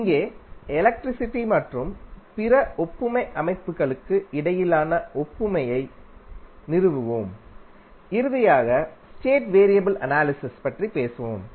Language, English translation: Tamil, So, we will establish the analogy between the electricity and other analogous systems and finally talk about the state variable analysis